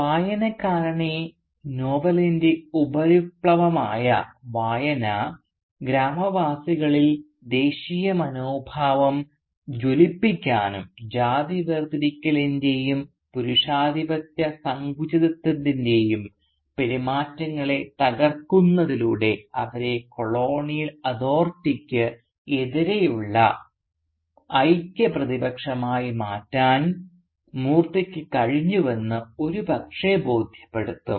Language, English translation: Malayalam, Now a superficial reading of the novel will perhaps convince the reader that Moorthy does managed to kindle within the villagers a spirit of Nationalism and transform them into a united opposition to the colonial authority by breaking the behaviours of caste segregation and patriarchal narrowness